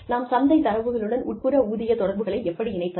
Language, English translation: Tamil, How do we link, internal pay relationships to market data